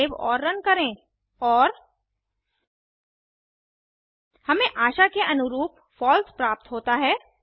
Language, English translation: Hindi, Save and Run and We get a false as expected